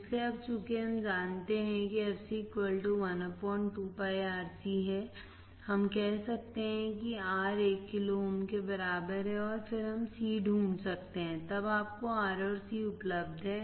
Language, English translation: Hindi, So, now since we know fc equals to 1 upon 2PIRC we can say let us R equal to 1 kilo ohm right and then c we can find then you can substitute to R and C is available